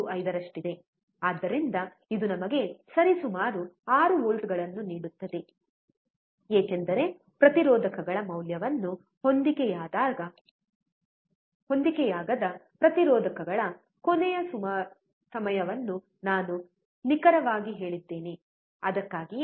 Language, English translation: Kannada, 5 so, it will give us approximately 6 volts, because I told you last time of the resistors mismatching the value of the resistors are not accurate, that is why